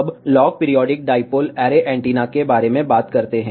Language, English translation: Hindi, Now, let us talk about log periodic dipole array antenna